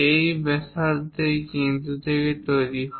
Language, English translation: Bengali, This radius is made from this center